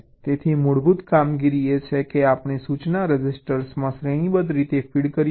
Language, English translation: Gujarati, so the basic operation is that we feed the instruction serially into the instruction register